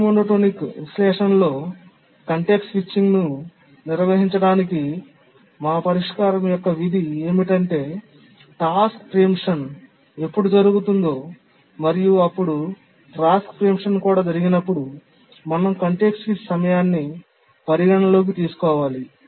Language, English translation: Telugu, The crux of our solution here about how to handle context switching in the rate monotonic analysis is to consider the following situation that when do the task preemptions occur and whenever task preemption occurs we need to consider the context switch